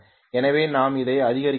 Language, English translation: Tamil, So we are going to step it up